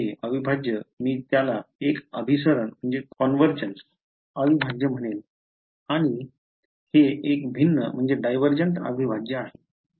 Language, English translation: Marathi, So, this integral I will call it a convergent integral and this is a divergent integral